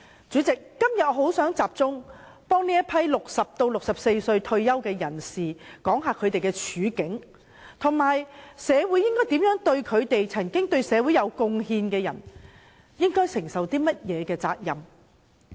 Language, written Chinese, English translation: Cantonese, 主席，今天我想集中反映60至64歲退休人士的處境，以及社會應該如何照顧這些對社會有貢獻的人，擔起甚麼責任？, Chairman today I would focus on the situation of retirees aged between 60 and 64 . How should the community take care of people who have made contribution to society and what are the responsibilities of society? . As a saying goes a small cost may bring a handsome reward